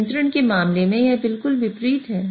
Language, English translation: Hindi, In terms of control, it's exactly the opposite